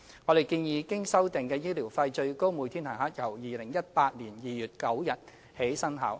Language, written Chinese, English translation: Cantonese, 我們建議，經修訂的醫療費最高每天限額由2018年2月9日起生效。, We propose that the revised maximum daily rates of medical expenses should become effective from 9 February 2018